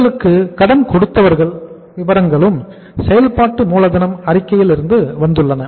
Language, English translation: Tamil, Your sundry creditors have come from the working capital statement